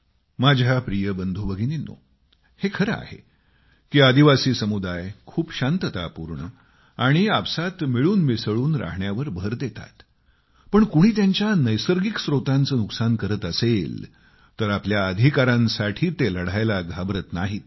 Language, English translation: Marathi, My dear brothers and sisters, this is a fact that the tribal community believes in very peaceful and harmonious coexistence but, if somebody tries to harm and cause damage to their natural resources, they do not shy away from fighting for their rights